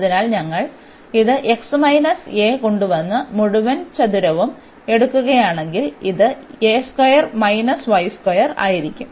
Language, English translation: Malayalam, So, if we bring this x minus a and take whole square, then this will be a square minus y square